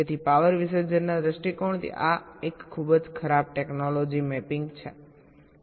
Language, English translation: Gujarati, so from the point of view of power dissipation this is a very bad technology mapping